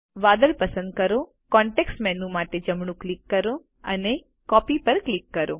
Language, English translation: Gujarati, Select the cloud, right click for the context menu and click Copy